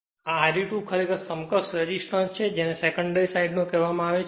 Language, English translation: Gujarati, This R e 2 actually is the equivalent resistance refer to the secondary side